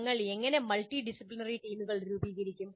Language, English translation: Malayalam, And how do we form multidisciplinary teams